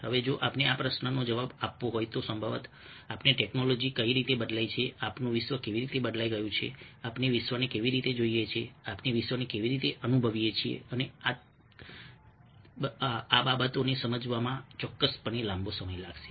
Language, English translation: Gujarati, now, if we have to answer this question, probably we need to look a little deeper into how technology has changed, how our world has changed, how we look at the world, how we experience the world, and understanding these things will definitely go a long way in developing sensitivity to the use of visuals